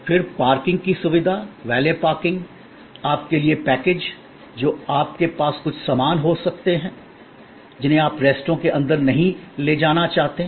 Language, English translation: Hindi, Then, the parking facilities, valet parking, a carrying for your, you know packages, which you may have certain stuff, which you do not want to take inside the restaurant